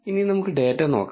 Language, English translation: Malayalam, Now, let us view the data